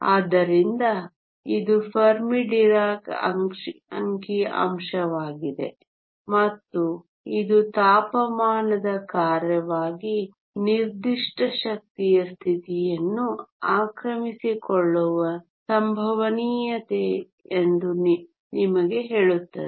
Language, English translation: Kannada, So, this is the Fermi Dirac Statistics and this tells you what is the probability of occupation of a given energy state as a function of a temperature